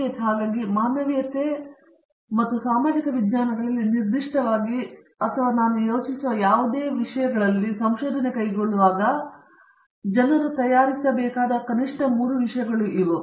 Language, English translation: Kannada, So, these are at least 3 things that people should be prepared for, when they take up research in humanities and social sciences in particular and in any other discipline in general that I would think